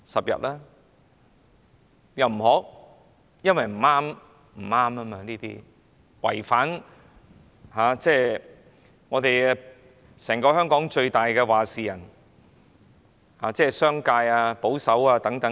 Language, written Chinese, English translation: Cantonese, 因為這樣做不對，會損害香港最大"話事人"，即商界和保守派的利益。, The reason is that it is not right to do so as it will harm the interests of the paymasters in Hong Kong ie . the business community and the conservative camp